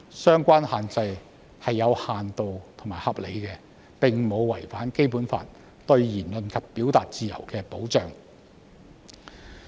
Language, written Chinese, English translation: Cantonese, 相關限制是有限度和合理的，並無違反《基本法》對言論及表達自由的保障。, The restrictions concerned are limited and reasonable and they will not infringe upon the protection of the freedom of speech and expression under the Basic Law